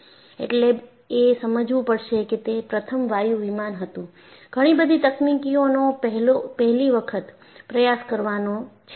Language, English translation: Gujarati, So, you have to realize, that was the first jet airliner;so, many technologies have to be tried for the first time